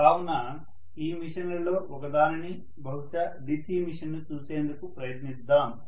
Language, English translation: Telugu, So let us try to take a probably quick look at one of the machines maybe a DC machine